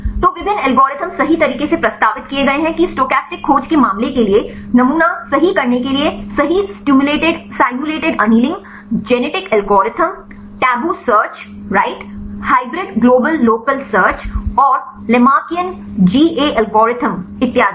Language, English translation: Hindi, So, there are various algorithms have been proposed right to do the sampling right for the case of stochastic search right aimulated annealing, aenetic algorithm, tabu search right hybrid global local search and Lamarckian GA algorithm so on